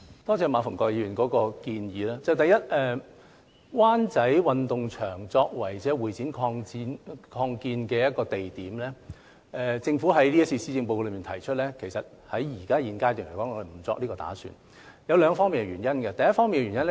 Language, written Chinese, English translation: Cantonese, 多謝馬逢國議員提出建議，第一，對於將灣仔運動場作為會展擴建用地的建議，政府在今次施政報告中提出，其實在現階段沒有這個打算，當中有兩個原因。, I thank Mr MA for the suggestion . First as regards the proposal of earmarking Wan Chai Sports Ground as the site for expansion of HKCEC the Government has made known in this Policy Address that it has no such intention at the current stage for two reasons